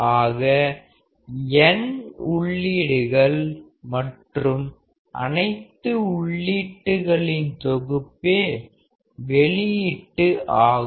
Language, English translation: Tamil, So, n inputs and the output will be summation of all the inputs